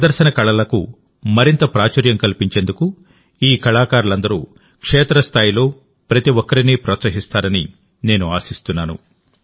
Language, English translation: Telugu, I hope that all these artists will continue to inspire everyone at the grassroots towards making performing arts more popular